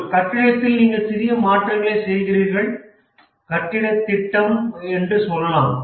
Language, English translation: Tamil, In a building, you make small alterations, let's say building project